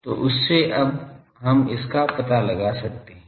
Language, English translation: Hindi, So, from that we can now, find out